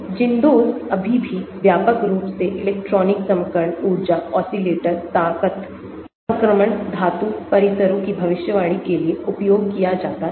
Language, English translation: Hindi, ZINDOS still widely used for prediction of electronic transition energy, oscillator strengths, transition metal complexes